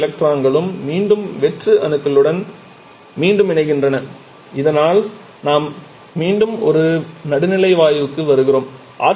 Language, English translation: Tamil, All the electrons again recombine with the free atoms so that we again are back to a neutral body of gas